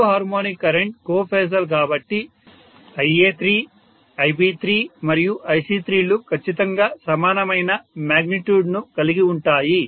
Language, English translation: Telugu, The third harmonic current being co phasal Ia3, Ib3 and Ic3 are exactly of same magnitude, exactly in phase with each other